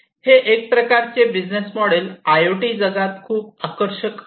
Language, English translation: Marathi, So, this is a kind of business model that is very attractive in the IoT world